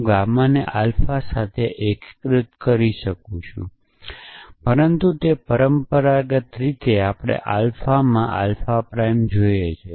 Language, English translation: Gujarati, I can unify gamma with alpha, but it traditionally we see alpha prime in alpha